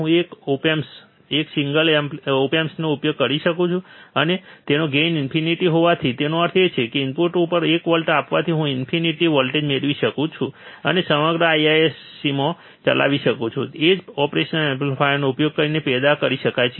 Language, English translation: Gujarati, I can use one op amp, one single op amp I see, and since his gain is infinite; that means, applying one volt at the input, I can get infinite voltage, and whole IISC I can run the power can be generated using one single operational amplifier